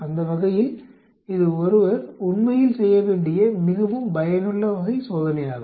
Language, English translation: Tamil, That way this is a very useful type of test, one is to perform actually